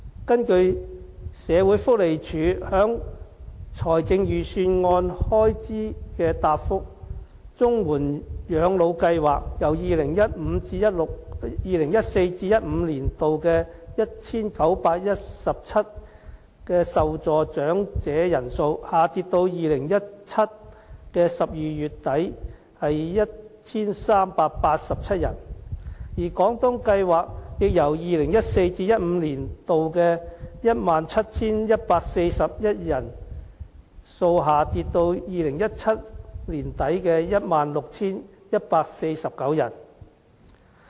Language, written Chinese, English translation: Cantonese, 根據社署在財政預算案開支的答覆：綜緩養老計劃由 2014-2015 年度的 1,917 名受助長者人數，下跌至2017年12月底的 1,387 人，而廣東計劃亦由 2014-2015 年度的 17,145 人下跌至2017年年底的 16,149 人。, According to the Social Welfare Departments reply to the budget expenditure the number of PCSSA recipients decreased from 1 917 in 2014 - 2015 to 1 387 in end of December 2017 . Meanwhile the number of Guangdong Scheme recipients decreased from 17 145 in 2014 - 2015 to 16 149 at the end of 2017